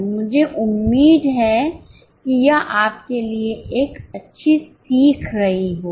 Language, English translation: Hindi, I hope this would have been a good learning to you